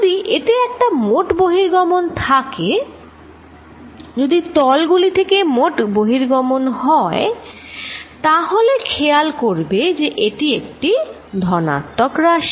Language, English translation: Bengali, If there is a net flow outside, if there is a net flow through the surfaces, notice that this is positive quantity